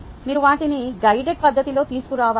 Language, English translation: Telugu, you need to bring them in in a guided fashion